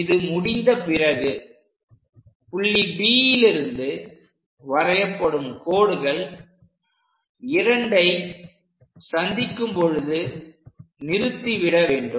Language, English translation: Tamil, Once it is done from D point, we have to go along that stop it where it is going to intersect 2